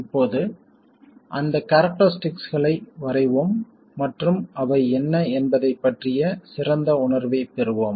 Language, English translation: Tamil, Now let's catch those characteristics and get a better feel for what they are